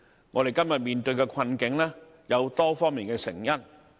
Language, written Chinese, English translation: Cantonese, 我們今天面對的困境，有多方面的成因。, The causes of the predicament facing us today are manifold